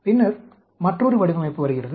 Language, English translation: Tamil, Then, comes another design